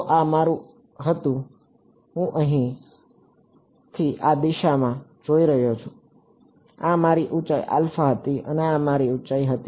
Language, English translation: Gujarati, So, this was my I am looking from here this direction, this was my height alpha and this was my height epsilon